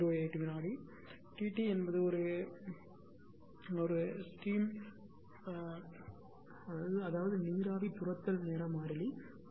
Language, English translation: Tamil, 08 second T g is a steam chase time constants 0